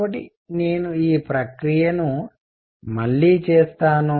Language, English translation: Telugu, So, I will make this picture again